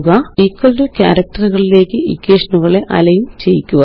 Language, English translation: Malayalam, Align the equations at the equal to character